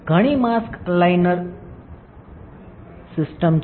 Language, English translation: Gujarati, There are several mask aligner systems